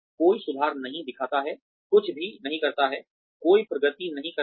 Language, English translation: Hindi, Shows no improvement, does not do anything, does not make any progress